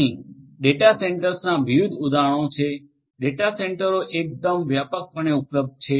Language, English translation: Gujarati, Here there are different examples of data centres, data centres are quite widely available